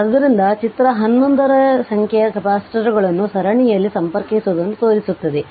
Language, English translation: Kannada, So, figure 11 shows n number of capacitors are connected in series